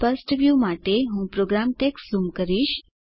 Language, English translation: Gujarati, Let me zoom the program text to have a clear view